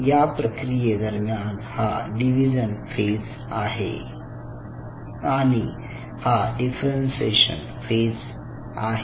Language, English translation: Marathi, now, in this process, this is which is the division phase, this is which is the differentiation phase